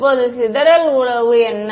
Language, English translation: Tamil, Now, what is the dispersion relation